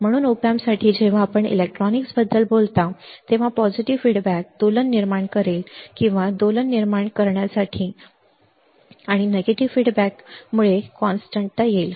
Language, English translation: Marathi, So, for the op amp when you talk about electronics a positive feedback will cause oscillation or generate oscillations and negative feedback will lead to stability ok